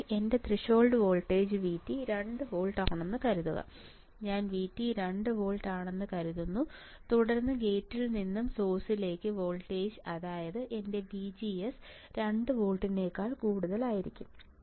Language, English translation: Malayalam, So, assume that my threshold voltage V T equals to 2 volts, I am assuming V T equals to 2 volts then my gate to source voltage; that means, my VGS should be greater than 2 volts should be greater than 2 volts right